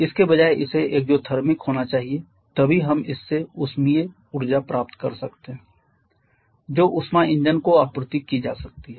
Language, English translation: Hindi, Rather it has to be exothermic then only we can get useful thermal energy from this which can be supplied to the heat engine